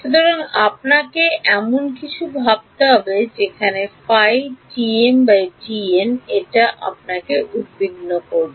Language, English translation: Bengali, So, you would have to think of something like this that is what we have to worry about